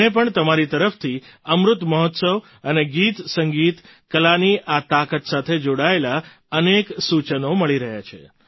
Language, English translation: Gujarati, I too am getting several suggestions from you regarding Amrit Mahotsav and this strength of songsmusicarts